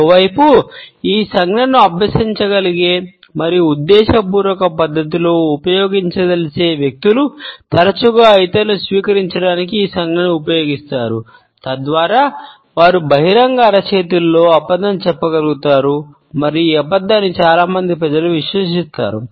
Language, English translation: Telugu, On the other hand those people who are able to practice this gesture and are able to use it in an intentional manner often use this gesture to receive others so that they can pass on a lie within open palm and this lie would be trusted by most of the people